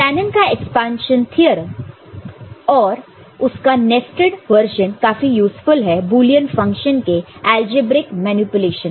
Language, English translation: Hindi, And Shanon’s expansion theorem and its nested version is useful in algebraic manipulation of a Boolean function, ok